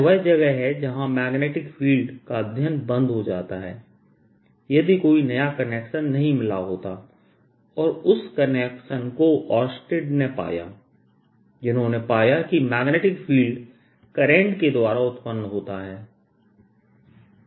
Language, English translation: Hindi, alright, this is where the study of magnetic field would have stopped if a new connection was not found, and that connection was found by oersted, who found that magnetic field is produced by currents